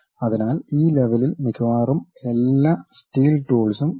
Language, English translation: Malayalam, So, almost all these steels tools available at this level